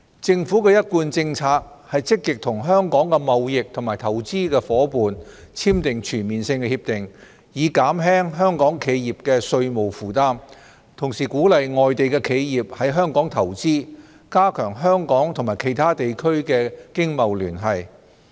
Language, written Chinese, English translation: Cantonese, 政府的一貫政策是積極與香港的貿易及投資夥伴簽訂全面性協定，以減輕香港企業的稅務負擔，同時鼓勵外地企業在港投資，加強香港與其他地區的經貿聯繫。, It has been the Governments policy to proactively enter into Comprehensive Agreements with Hong Kongs trading and investment partners so as to alleviate the tax burden of Hong Kong enterprises while encouraging foreign enterprises to invest in Hong Kong and enhancing our economic and trade relations with other regions